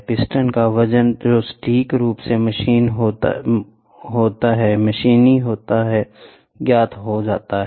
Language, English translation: Hindi, The weight of the piston which is accurately machined is known